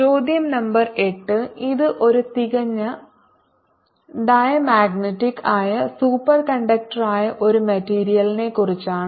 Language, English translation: Malayalam, question number eight: it concerns a material which is a perfect diamagnetic and that is a superconductor